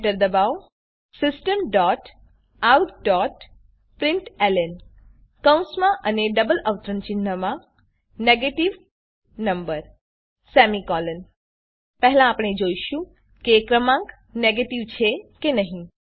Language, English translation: Gujarati, Press enter System.out.println Within brackets and double quotes (Negative number) We first see if the number is a negative number